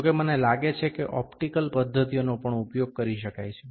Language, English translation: Gujarati, However, I think also the optical method can also be used